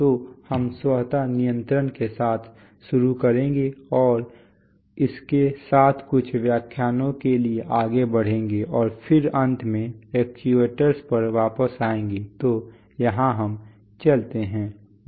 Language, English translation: Hindi, So, we'll start with automatic controls and go on for that with that for a few lectures and then eventually come back to actuators, so here we go